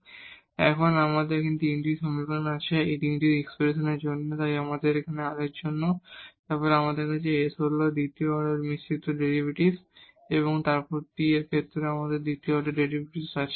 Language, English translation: Bengali, So, we have 3 equations now, this is for 3 expressions, so here for the r and then we have the s the second order derivative the mixed derivative and then we have the second order derivative with respect to t